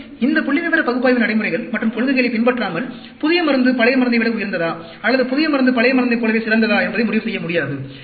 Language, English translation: Tamil, And, without following these statistical analytical procedures and principles, one cannot conclude whether the drug is superior than the older drug, or whether the drug is as good as the older drug